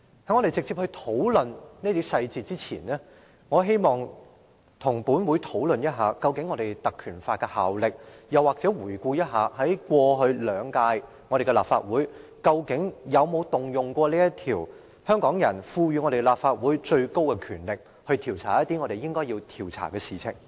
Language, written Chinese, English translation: Cantonese, 在我直接討論這些細節之前，我希望與本會討論一下《立法會條例》的效力，又或者回顧一下過去兩屆立法會有否運用過這項條例，運用香港人賦予立法會的最高權力，調查一些我們應該調查的事情。, Before discussing directly the details of the incident I wish to talk about the effects of the Legislative Council Ordinance and review in retrospect the decisions made in the last two terms of the Legislative Council on whether the Ordinance should be invoked to exercise the greatest power given to this Council by Hong Kong people to inquire into cases we should investigate